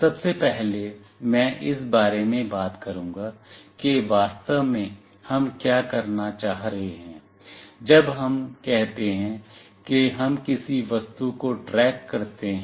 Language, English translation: Hindi, Firstly I will talk about that what exactly we are trying to say, when we say we track an object